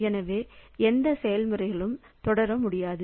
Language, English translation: Tamil, So, that way none of the processes can continue